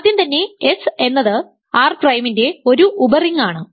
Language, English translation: Malayalam, First is that S is a subring of R prime